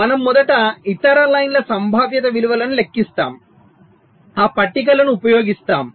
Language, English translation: Telugu, so we first calculate the probability values of the other lines, just using those tables